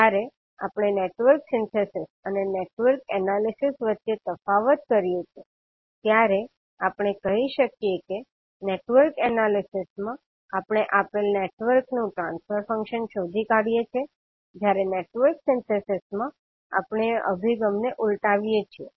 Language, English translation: Gujarati, So when we differentiate between Network Synthesis and Network Analysis, we can say that in Network Analysis we find the transfer function of a given network while, in case if Network Synthesis we reverse the approach